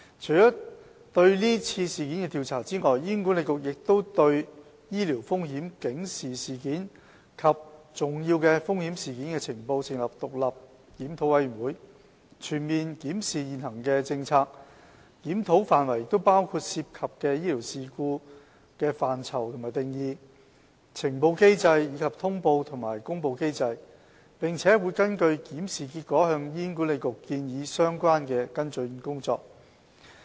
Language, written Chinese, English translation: Cantonese, 除了對是次事件的調查外，醫管局亦已對醫療風險警示事件及重要風險事件的呈報，成立獨立檢討小組，全面檢視現行的政策，檢討範圍包括涉及的醫療事故範疇及定義、呈報機制，以及通報和公布機制，並會根據檢視結果向醫管局建議相關的跟進工作。, Apart from the investigation into this event HA has also established an independent review panel to conduct a comprehensive review of the current Sentinel and Serious Untoward Event Policy the Policy which covers examination of the definition and scope of sentinel and serious untoward events related to clinical incidents reporting mechanism as well as notification and announcement mechanisms . The review panel will make recommendations to HA on follow - up actions according to the findings . Both panels have commenced their work